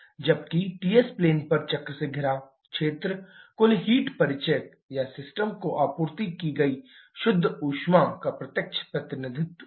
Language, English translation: Hindi, Whereas the area enclosed by the cycle on Ts plane is a direct representation of the total heat introduction or net heat supplied to the system